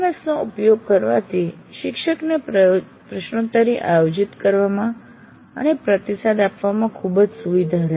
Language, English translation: Gujarati, Using an LMS will greatly facilitate the teacher to conduct a quiz and give feedback